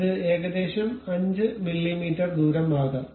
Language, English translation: Malayalam, It can be some 5 millimeters radius, ok